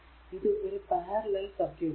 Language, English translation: Malayalam, So, this is the equivalent circuit